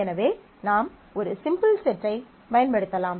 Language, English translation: Tamil, So, it becomes a simpler set